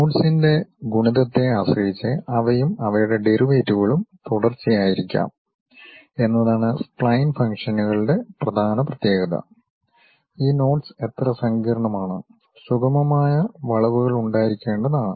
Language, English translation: Malayalam, The key property of spline functions is that they and their derivatives may be continuous depending on the multiplicity of knots, how complicated these knots we might be having smooth curves